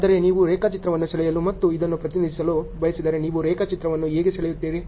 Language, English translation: Kannada, But, as such if you want to draw a diagram and represent this how do you draw the diagram